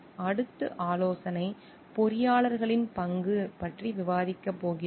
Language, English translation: Tamil, And next we are going to discuss about a role of consulting engineers